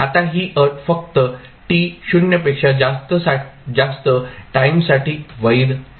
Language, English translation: Marathi, Now, this condition is valid only for time t greater than 0